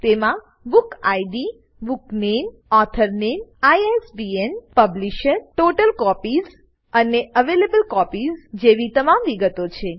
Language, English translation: Gujarati, It has all the details like Book Id, BookName,Author Name, ISBN, Publisher, Total Copies and Available copies